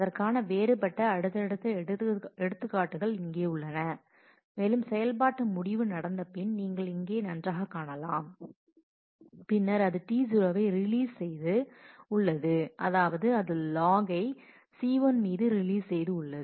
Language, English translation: Tamil, Here are different subsequent examples on that and you can you can see that well here after the operation end has happened, then possibly it has released the T 0 has released a lock on C 1